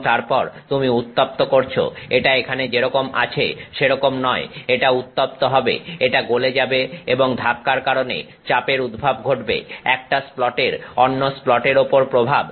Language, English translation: Bengali, And, then you do the heating, it is not like that here, it is arriving hot, it is arriving molten and the pressure is happening because of the impact, impact of one splat on another splat